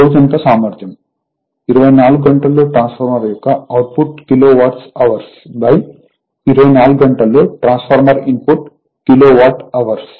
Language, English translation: Telugu, All day efficiency is equal to output of transformer in kilowatt hour in 24 hours right divided by input to transformer in kilowatt hour in 24 hours right